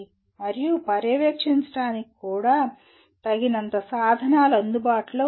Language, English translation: Telugu, And for example to even monitor, are there adequate tools available